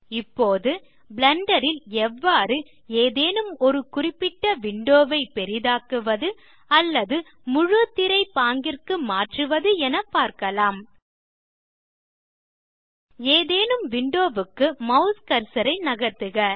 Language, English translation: Tamil, Now, lets see how to maximize any particular window or switch to full screen mode in Blender Move your mouse cursor to any window